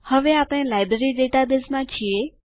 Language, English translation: Gujarati, And open our Library database